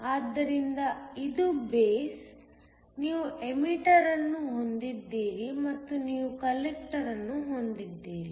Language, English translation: Kannada, So this is the base, you have an emitter and you have a collector